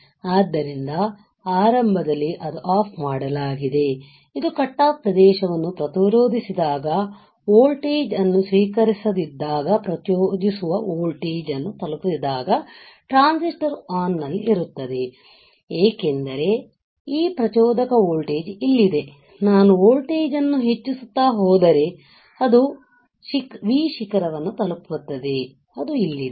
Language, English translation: Kannada, So, initially it is turned off then when it when it resists this region cut off region right the voltage received the voltage hadn't reached triggering voltage the transistor will be on now the transistor as this triggering voltage which is here this triggering voltage will now will turn on after a while if the applied voltage still increases if I keep on increasing the voltage it will reaches V peak which is here